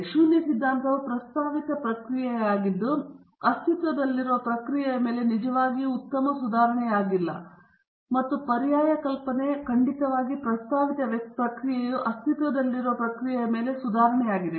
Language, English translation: Kannada, So, the null hypothesis would be the proposed process is not a really great improvement on the existing process and the alternate hypothesis would be definitely the proposed process is a improvement over the existing process